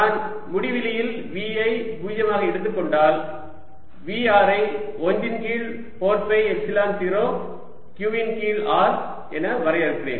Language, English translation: Tamil, so what we learn is that v at infinity plus v at point r is equal to one over four pi epsilon zero, q over r